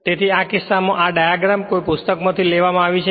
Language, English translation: Gujarati, So, in this case this this this diagram I have taken from a book right